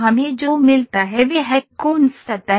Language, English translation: Hindi, What we get is a Coons surface